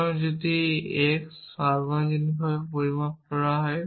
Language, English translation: Bengali, So, if x is universally quantified